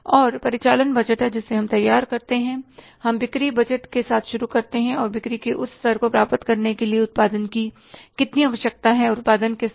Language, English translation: Hindi, And operating budget is we prepare the, we start with the sales budget and to achieve that level of sales, how much production is required and how to attain that given level of the production